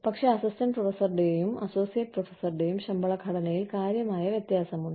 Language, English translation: Malayalam, But, there is a significant amount of difference, in the salary structure, of an assistant professor, and an associate professor